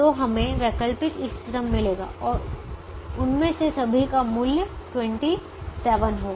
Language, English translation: Hindi, so we would get alternate optimum and all of them having twenty seven as the value